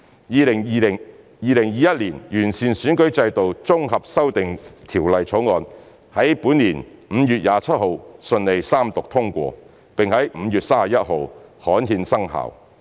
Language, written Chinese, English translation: Cantonese, 《2021年完善選舉制度條例草案》於本年5月27日順利三讀通過，並在5月31日刊憲生效。, The Third Reading of the Improving Electoral System Bill 2021 was successfully passed on 27 May this year which has come into effect after its gazettal on 31 May